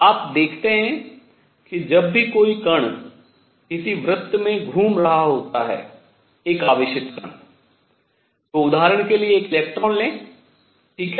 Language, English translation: Hindi, You see whenever there is a particle moving in a circle a charged particle for an example an electron right